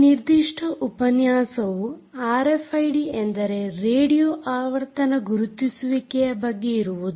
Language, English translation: Kannada, this particular lecture is about r f i d, which essentially stands for radio frequency identification